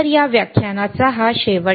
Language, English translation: Marathi, So, this end of this lecture